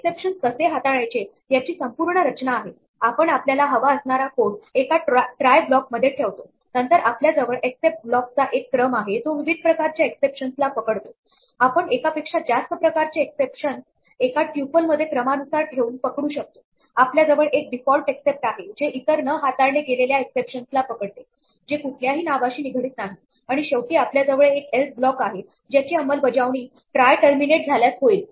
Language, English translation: Marathi, This is the overall structure of how we handle exceptions we put the code that we want inside a try block then we have a sequence of except blocks which catch different types of exceptions we can catch more than one type of exception by putting a sequence in a tuple of exceptions, we can have a default except with no name associated with it to catch all un other exceptions which are not handled and finally, we have an else which will execute if the try terminates normally